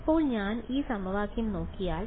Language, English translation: Malayalam, Now, if I look at this equation